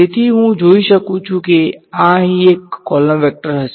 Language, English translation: Gujarati, So, I can see so this will be a column vector over here